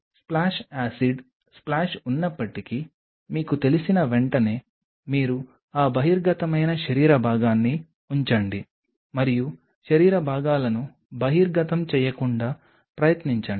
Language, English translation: Telugu, So, that you know even if there is a splash acid splash you can immediately you know put that exposed body part and try not to have exposed body parts